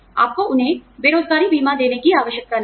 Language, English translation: Hindi, You do not need to give them, unemployment insurance